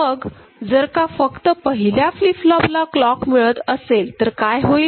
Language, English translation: Marathi, So, this is how the first flip flop will work right